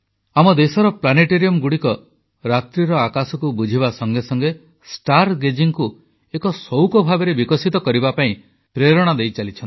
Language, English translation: Odia, The planetariums in our country, in addition to increasing the understanding of the night sky, also motivate people to develop star gazing as a hobby